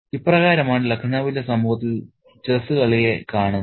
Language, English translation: Malayalam, So, this is how the game of chess is perceived in the society of Lucknow